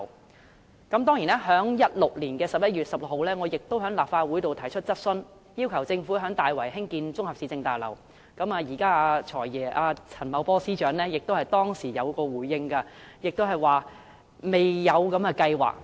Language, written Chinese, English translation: Cantonese, 我曾在2016年11月16日的立法會會議上提出質詢，要求政府在大圍興建綜合市政大樓，現任"財爺"陳茂波司長當時亦有作出回應，他表示未有這計劃。, At the Legislative Council meeting on 16 November 2016 I asked a question requesting the Government to construct a municipal services complex in Tai Wai . At that time the incumbent Financial Secretary Paul CHAN replied that there was no such plan